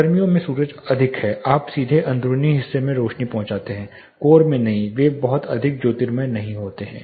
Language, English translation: Hindi, summer sun is high you get directly into the interiors not into the core they are not much heat